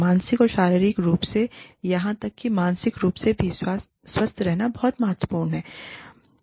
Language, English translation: Hindi, That is very important, to be healthy, both mentally and physically, and even socially